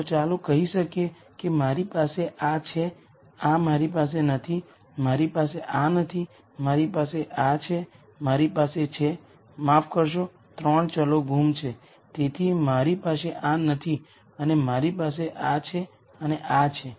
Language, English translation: Gujarati, So, let us say I have this I do not have this, I do not have this, I have this, I have this, sorry 3 variables are missing, so, I do not have this and I have this and this